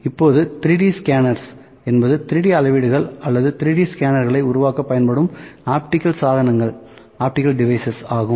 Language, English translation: Tamil, Now, 3D scanners are optical devices used to create 3D measurements or 3D scanners, we have 3D scanners